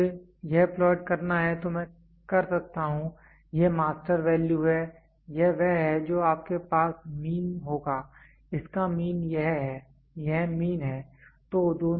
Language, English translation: Hindi, If I have to plot it I can this is the master value, this one is the you will have mean, this is the mean, this is the mean